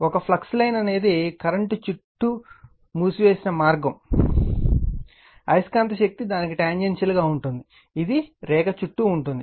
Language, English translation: Telugu, A line of flux is a closed path around the current such that the magnetic force is tangential to it is all point around the line